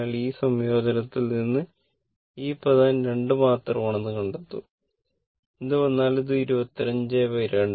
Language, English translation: Malayalam, From this integration, whatever will come it will be 25 by 2